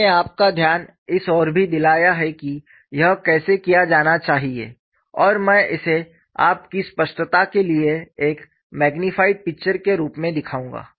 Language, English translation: Hindi, I have already explained; I have also brought your attention how it should be done and I would show this as a magnified picture for your clarity